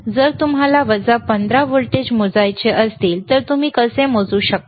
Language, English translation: Marathi, If you want to measure minus 15 volts, how you can measure this is plus 15 volts